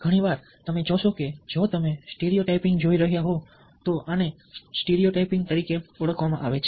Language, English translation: Gujarati, you see that, if you are looking at stereo typing this is what is known as stereo typing